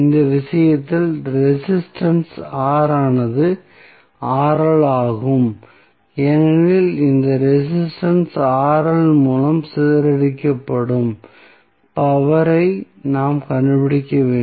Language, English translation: Tamil, In this case resistance R is Rl because we are to find out the power dissipated by this resistance Rl